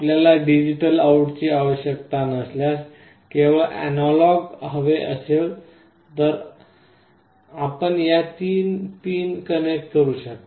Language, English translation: Marathi, If you do not require the digital out you want only the analog out, then you can only connect these three pins